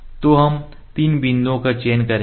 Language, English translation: Hindi, So, we will select the distance